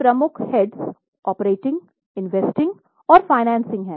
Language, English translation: Hindi, There are three heads operating, investing and financing